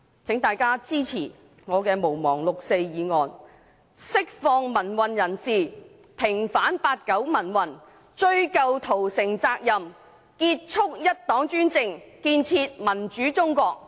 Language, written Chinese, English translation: Cantonese, 請大家支持我提出"毋忘六四"的議案，釋放民運人士，平反八九民運，追究屠城責任，結束一黨專政，建設民主中國。, I urge Members to support my motion on Not forgetting the 4 June incident to demand the release of pro - democracy activists vindicate the 1989 pro - democracy movement pursue responsibility for the massacre end one - party dictatorship and build a democratic China